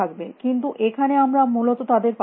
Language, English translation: Bengali, But here we do not have them essentially anything